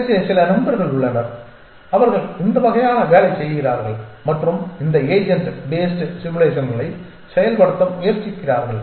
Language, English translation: Tamil, And I have some friends who are sort of working with this and trying to implement these agent based simulations